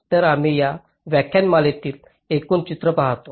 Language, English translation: Marathi, so we look at into the overall picture in this lecture